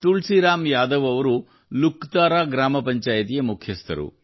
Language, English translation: Kannada, Tulsiram Yadav ji is the Pradhan of Luktara Gram Panchayat